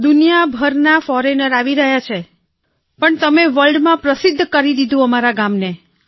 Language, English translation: Gujarati, Foreigners from all over the world can come but you have made our village famous in the world